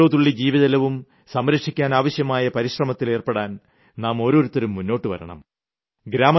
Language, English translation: Malayalam, We should make every effort to conserve every single drop of water